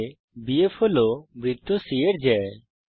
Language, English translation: Bengali, In the figure BF is the chord to the circle c